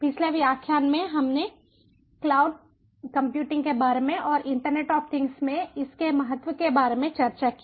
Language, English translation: Hindi, in a previous lecture, we discussed about cloud computing and its importance in ah internet of things